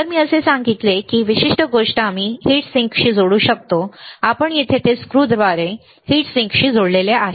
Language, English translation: Marathi, Like I said this particular thing we can connect to heatsink you can see here it is connected through a screw it is connected through a screw to a heatsink